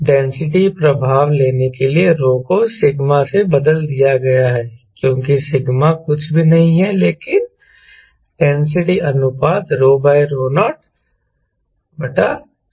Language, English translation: Hindi, rho has been replaced by sigma to take the density effect, because sigma is nothing but density ratio, whereas rho by rho naught